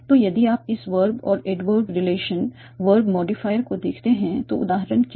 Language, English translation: Hindi, So if you look at this verb and adverbial relation, verb modifier